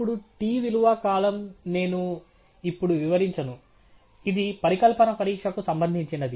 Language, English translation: Telugu, Now the t value column is something that I will not go over, it’s pertaining to hypothesis testing